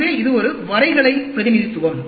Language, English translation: Tamil, So, it is a graphical representation